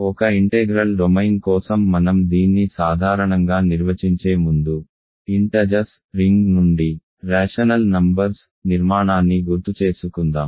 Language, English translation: Telugu, So, let, so before I define this in general for an integral domain, let us recall the construction of rational numbers from the ring of integers